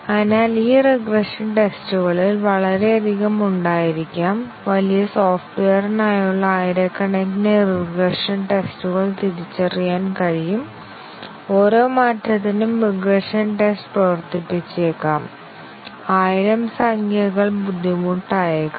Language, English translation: Malayalam, So, out of these regression tests, which may be too many, may be thousands of regression tests for large software can be identified and may be running regression test for each change, thousand numbers may be difficult